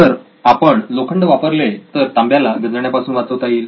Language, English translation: Marathi, If I use iron than what is happening is there is no copper corrosion